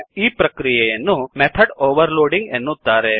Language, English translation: Kannada, The process is called method overloading